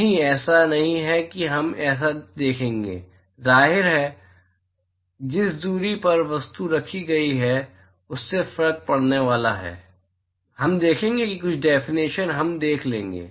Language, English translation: Hindi, No, it is not we will see that so; obviously, the distance at which the object is placed is going to make a difference, we will see that some of the definition